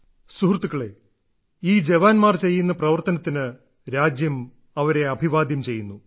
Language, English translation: Malayalam, Friends, the nation salutes these soldiers of ours, these warriors of ours for the work that they have done